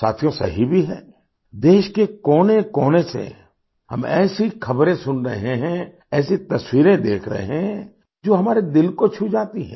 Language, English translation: Hindi, Friends, it is right, as well…we are getting to hear such news from all corners of the country; we are seeing such pictures that touch our hearts